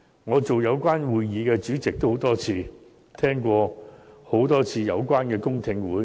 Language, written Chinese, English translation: Cantonese, 我曾多次擔任有關會議的主席，並多次聆聽有關的公聽會。, I had chaired the relevant meetings on a number of occasions and attended numerous public hearings concerned